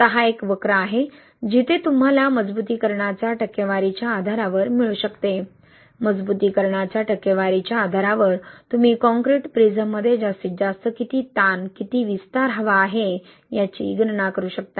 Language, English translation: Marathi, Now this is a curve where you can get based on the percentage of reinforcement, right, based on the percentage of reinforcement you can calculate how much maximum restraint, how much expansion you want in the maximum in the restraint concrete prism, right